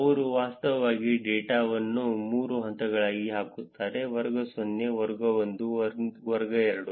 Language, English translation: Kannada, They actually put the data into 3 buckets, class 0, class 1 and class 2